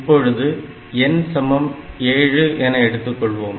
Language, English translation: Tamil, So, I have to go for n equal to 7